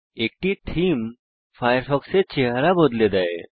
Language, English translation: Bengali, A theme Changes how Firefox looks